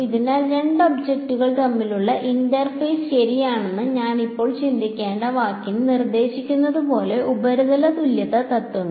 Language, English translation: Malayalam, So, surface equivalence principles as you can the word suggest I have to now think of the interface between two objects ok